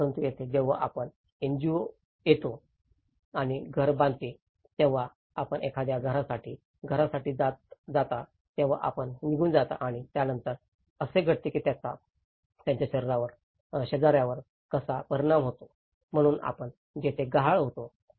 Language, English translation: Marathi, But here, when you go on an individual house for a house you build a house when NGO comes and build a house, you go away and thatís it so what happens next, how it affects the neighbour, so that is where we are missing in that level